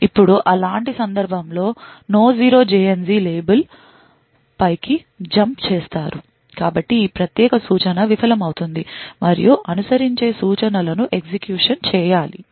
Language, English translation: Telugu, Now in such a case jump on no 0 label so this particular instruction would fail and the instruction that follows needs to be executed